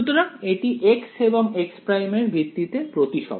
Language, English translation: Bengali, So, it is symmetric with respect to x and x prime right